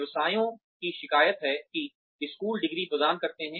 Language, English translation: Hindi, Businesses complain that, schools award degrees